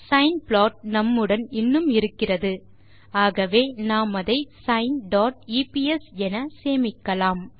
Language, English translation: Tamil, We still have the sine plot with us,let us now save the plot as sine dot eps